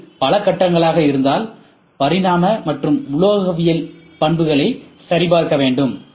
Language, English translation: Tamil, If it is multiple stage, dimensional and metallurgical properties has to be checked